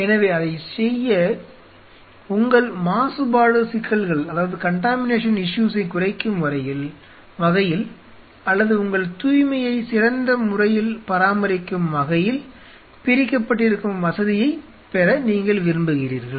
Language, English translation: Tamil, So, in order to do that you would prefer to have the facility kind of a spilt up in such a way that you minimize your contamination issues or you maintain your cleanliness in a better way